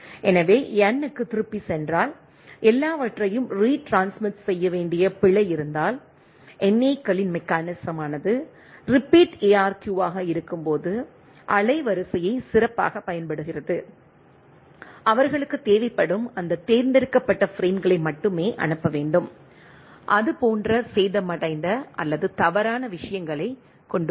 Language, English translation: Tamil, So, in case of go back N, if there is a error everything after that need to retransmitted where as the mechanism is the NAKs mechanism has a better utilization of the bandwidth when is a repeat ARQ, they need it sends only those selective frames which has damaged or erroneous things like that right